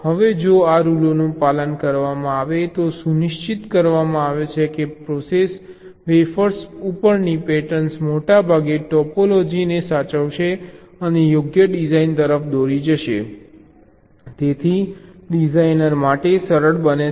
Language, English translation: Gujarati, now, if this rules are followed, then it is ensured that the patterns on the process wafers will most likely preserve the topology and will lead to a correct design